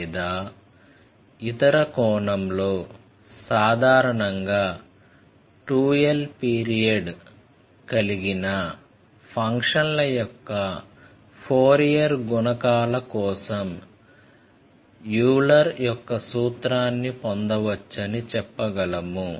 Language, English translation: Telugu, Or in other sense, I can tell in general that we can obtain Euler’s formula for Fourier coefficients for the functions whose period is 2 l that is we are trying to generalize now